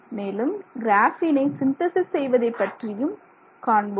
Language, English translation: Tamil, We will look at the synthesis process of graphene